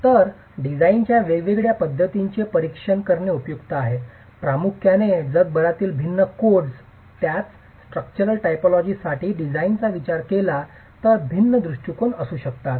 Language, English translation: Marathi, So, it's useful to examine the different design methods, primarily because different codes across the world for the same structural typology might have different approaches as far as design is concerned